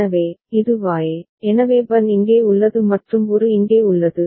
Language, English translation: Tamil, So, this is Y, so Bn is here and An is here right